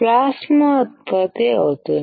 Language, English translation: Telugu, Plasma is generated